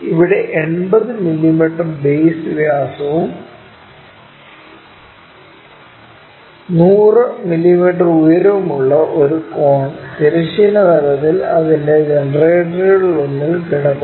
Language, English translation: Malayalam, Here a cone of base 80 mm diameter and height 100 mm is lying with one of its generators on the horizontal plane